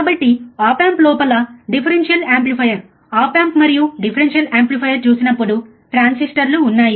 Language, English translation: Telugu, So, when we see differential amplifier op amp and differential amplifier within the op amp there are transistors